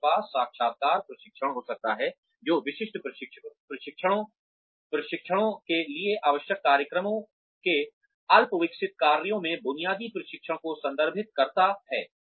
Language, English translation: Hindi, We can have literacy training, which refers to basic training, in the rudimentary functions of programs, required for specific jobs